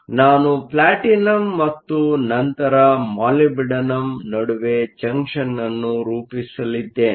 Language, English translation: Kannada, So, I am going to form a junction between platinum and then molybdenum